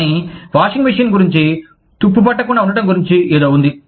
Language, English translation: Telugu, But, there was something, about a washing machine being, not being rusted